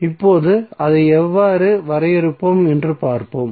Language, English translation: Tamil, So now let us see how we will define it